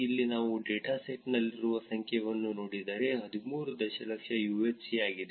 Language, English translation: Kannada, Also here if you look at the number in the dataset is 13 million UHC